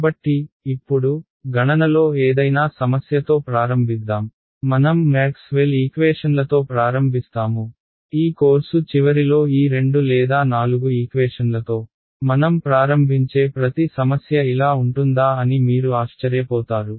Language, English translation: Telugu, So, now, let us start with as with any problem in computational em we start with Maxwell’s equations right, at the end of this course you will be amazed that how every problem we just start with these two or four equations and we get a solution ok